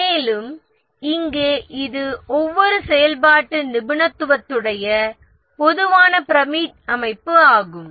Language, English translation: Tamil, And here it's a typical pyramidal structure with each functional specialization